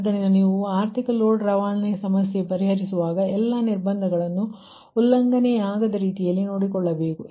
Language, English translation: Kannada, so when you are solving economic load dispatch problem then you have to see that all the constraints also are not violated